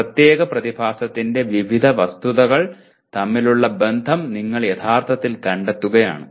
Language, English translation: Malayalam, You are actually discovering the relationship between various facets of a particular phenomena